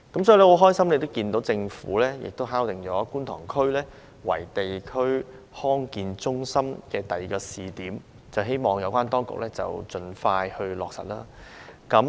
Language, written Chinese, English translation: Cantonese, 所以，我很高興看到政府敲定以觀塘區為地區康健中心的第二個試點，希望有關當局盡快落實。, Therefore I am very pleased to see that the Government has selected Kwun Tong as the district for the second District Health Centre Pilot Project . I hope that the relevant authorities will implement it promptly